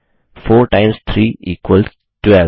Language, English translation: Hindi, 4 times 3 equals 12